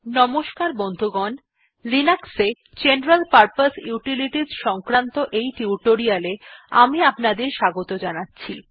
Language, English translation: Bengali, Hi, welcome to this spoken tutorial on General Purpose Utilities in Linux